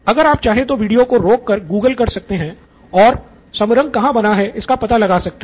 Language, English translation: Hindi, You can pause the video if you want to google and find out where Samarang was made